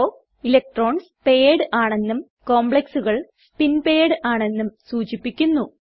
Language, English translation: Malayalam, Low means spin paired complexes where electrons are paired up